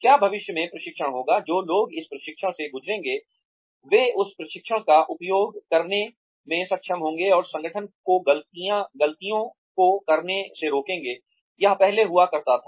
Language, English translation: Hindi, Will the training in future, will people who undergo this training, be able to use that training, and prevent the organization, from making the mistakes, it used to earlier